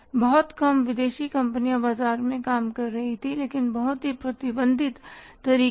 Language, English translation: Hindi, Very few foreign companies were operating in the market but in a very restricted manner